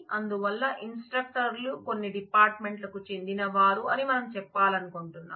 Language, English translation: Telugu, So, we want to say that the instructors belong to certain departments